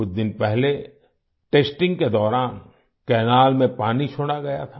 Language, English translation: Hindi, A few days ago, water was released in the canal during testing